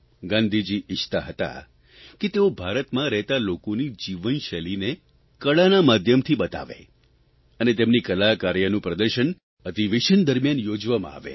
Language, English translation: Gujarati, It was Gandhiji's wish that the lifestyle of the people of India be depicted through the medium of art and this artwork may be exhibited during the session